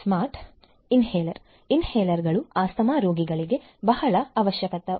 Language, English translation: Kannada, Smart Inhaler inhalers are a very essential requirement of asthma patients